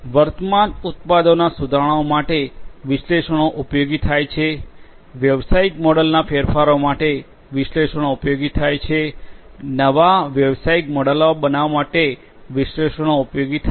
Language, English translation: Gujarati, For upgrading the existing products analytics is going to be useful, for changing the business model analytics would be useful, for creating new business models analytics would be useful